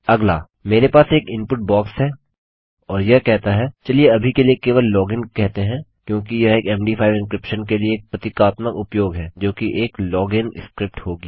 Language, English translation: Hindi, Next, Ill have an input box and this will say, lets just say log in for now because this is a typical use for an MD5 encryption which would be a log in script